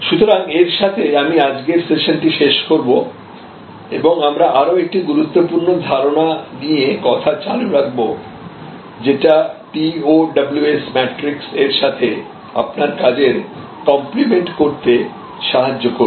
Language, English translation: Bengali, So, with this I will end today's session and we can continue with another important concept, which will help you to compliment your work with the TOWS matrix